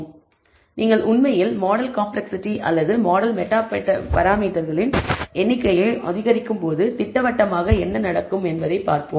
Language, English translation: Tamil, So, schematically what happens when you actually increase the model complexity or the number of meta parameters of the model